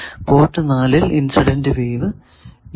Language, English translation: Malayalam, So, port 4 does not have any incident wave